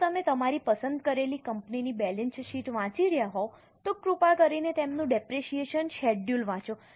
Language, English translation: Gujarati, If you are reading the balance sheet of your company which you have chosen, please read their depreciation schedule